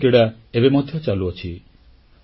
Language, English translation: Odia, The Asian Games are going on